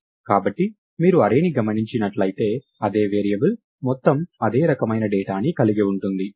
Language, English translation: Telugu, So, if you look at an array right its an aggregate type of the same variable same data type